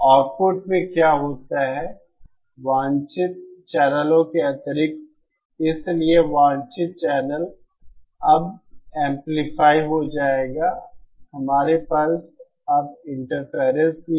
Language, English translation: Hindi, What happens in the output is that in addition to the desired channels, so the desired channels will now be amplified, we also have now interferers